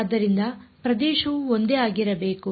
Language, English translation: Kannada, So, the area should be the same